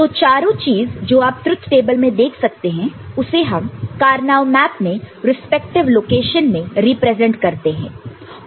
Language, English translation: Hindi, So, all the four things that you see in the truth table are represented in the Karnaugh map in their respective location, ok